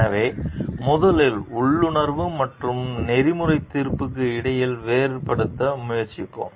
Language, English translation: Tamil, So, first we will try to differentiate between intuition and ethical judgment